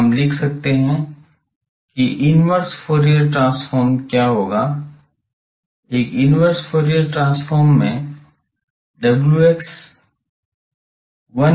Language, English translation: Hindi, So, we can write that what will be the inverse Fourier transform; in a inverse Fourier transform will be wx is 1 by 2 pi